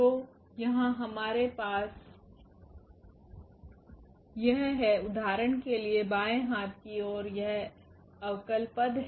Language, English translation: Hindi, So, here we have this; the left hand side for example, this is the derivative term